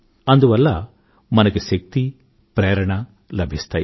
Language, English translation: Telugu, That lends us energy and inspiration